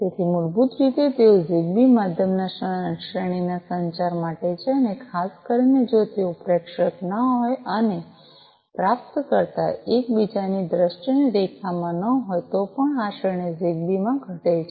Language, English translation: Gujarati, So, basically they Zigbee is for mid range communication and particularly if they are not the sender and the receiver are not within the line of sight of each other then even this range reduces in Zigbee